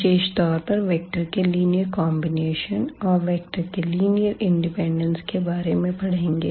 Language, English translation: Hindi, In particular, we will cover today the linear combinations of the vectors and also this linear independence of vectors